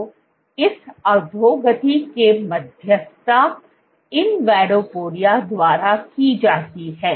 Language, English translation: Hindi, So, this degradation is mediated by invadopodia